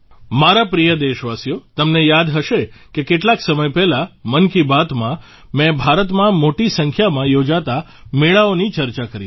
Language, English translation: Gujarati, My dear countrymen, you might remember that some time ago in 'Mann Ki Baat' I had discussed about the large number of fairs being organized in India